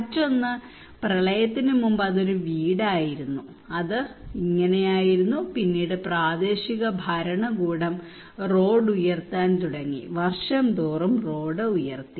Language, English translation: Malayalam, Another one is that before the flood, it was a house and it was like that, then the local government started to elevate the road okay simply elevated the road year after year